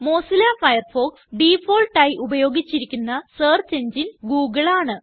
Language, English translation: Malayalam, The default search engine used in Mozilla Firefox is google